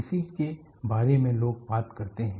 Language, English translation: Hindi, This is what people talk about it